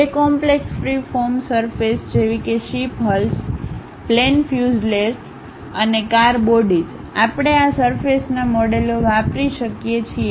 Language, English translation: Gujarati, Even complex free formed surfaces like ship hulls, aeroplane fuselages and car bodies; we can use these surface models